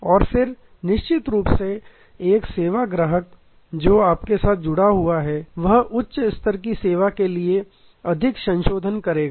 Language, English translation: Hindi, And then of course, a service customer who is bounded with you will tend to will more amendable to higher level of service